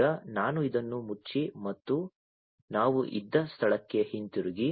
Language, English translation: Kannada, So, let me now close this and go back to where we were